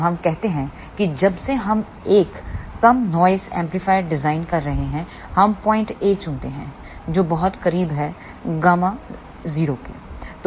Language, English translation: Hindi, So, let us say since we are designing a low noise amplifier we choose point A which is very very close to gamma 0